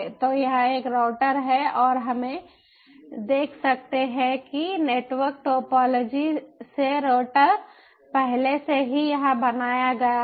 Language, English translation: Hindi, so so it is created router and we can see that from network topology the router is already created